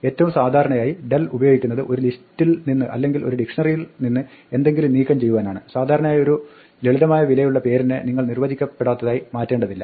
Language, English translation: Malayalam, The most normal way to use del is to remove something from a list or a dictionary, you would not normally want to just undefine name which is holding simple value